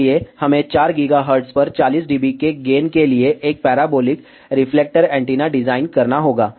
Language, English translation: Hindi, So, we have to design a parabolic reflector antenna for a gain of 40 dB at 4 gigahertz